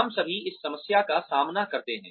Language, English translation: Hindi, All of us face this problem